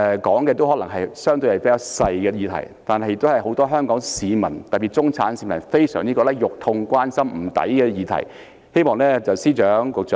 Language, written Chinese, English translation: Cantonese, 我說的可能相對是較小的議題，但都是很多香港市民，特別是中產市民關心、痛心、覺得不值得的議題。, While the issues that I have covered may be relatively minor they are concerned by many Hong Kong people particularly the middle - class people who feel aggrieved and unfairly treated